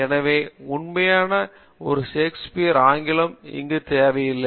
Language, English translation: Tamil, So this type of a real a Shakespeare English and all we do not need